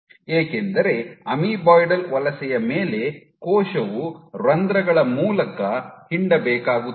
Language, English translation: Kannada, Because on the amoeboidal migration case your cell has to squeeze through pores